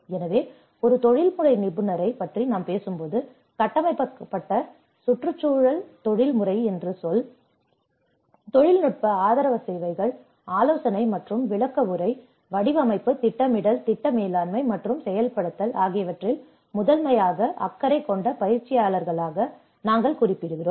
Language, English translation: Tamil, So, when we talk about the professional, who is a professional, the term built environment professional includes those we refer to as practitioners primarily concerned with providing technical support services, consultation and briefing, design, planning, project management, and implementation